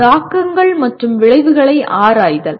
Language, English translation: Tamil, Exploring implications and consequences